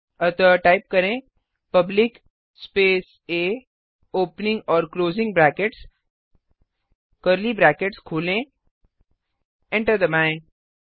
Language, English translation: Hindi, So type public A opening and closing brackets, open the curly brackets press Enter